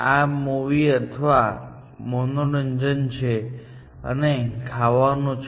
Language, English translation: Gujarati, This is a movie or entertainment, and this is a eating out